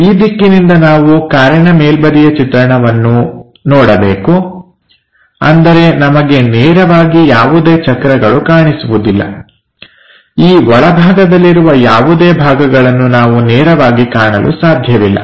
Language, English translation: Kannada, From this direction, we have to observe the top view of the car, that means, we cannot straight away see any wheels, we cannot straight away see anything like these inside of that parts